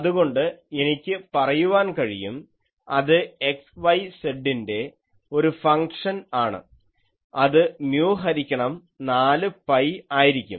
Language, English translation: Malayalam, So then, I can say that a which is a function of xyz that will be mu by 4 pi